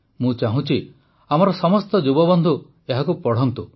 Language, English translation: Odia, I would want that all our young friends must read this